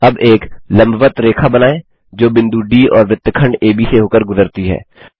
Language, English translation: Hindi, Lets now construct a perpendicular line which passes through point D and segment AB